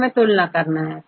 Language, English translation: Hindi, We have to compare